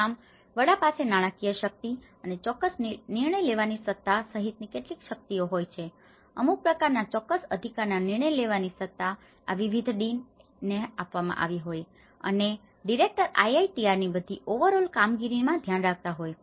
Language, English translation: Gujarati, So in that way, head has certain powers including the financial power and as well as certain decision making authority and certain authority has been spitted into these different deans and the director is looking at the overall working of the IITR